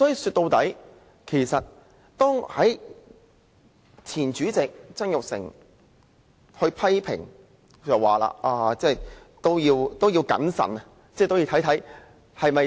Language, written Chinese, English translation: Cantonese, 說到底，其實前主席曾鈺成也曾作出批評，認為我們應謹慎行事。, Actually Jasper TSANG the former President of the Legislative Council once criticized Members saying they should act with prudence